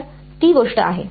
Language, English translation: Marathi, So, that is the thing